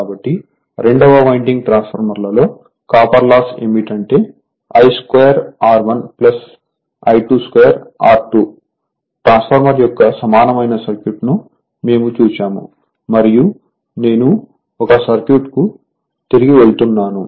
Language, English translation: Telugu, So, copper loss in the 2 winding transformer are I 2 square R 1 plus I 2 square R 2, I mean we have seen the equivalent circuit of the transformer and I am going back to 1 circuit right